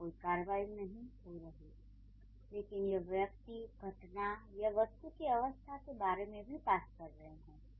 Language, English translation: Hindi, So, maybe there is no action happening here, but it's also talking about the state of the person or the event or the or maybe the object, anything